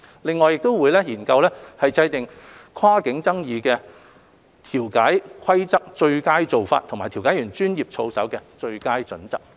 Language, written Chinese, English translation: Cantonese, 另外亦會研究制訂跨境爭議的調解規則最佳做法及調解員專業操守的最佳準則。, It will also study the formulation of best practices for mediation rules applicable to cross - boundary disputes and best practices for mediators code of conduct